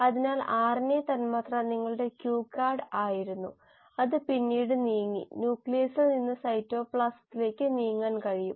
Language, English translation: Malayalam, So RNA molecule was your cue card which then moved, can move from the nucleus into the cytoplasm